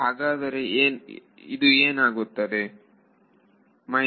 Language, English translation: Kannada, So, what should this be